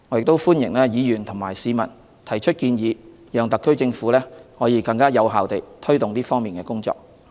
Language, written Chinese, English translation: Cantonese, 我歡迎議員和市民提出建議，讓特區政府可以更有效地推動這方面的工作。, I welcome suggestions from Members and from the public so that the Government can take forward the promotion work more effectively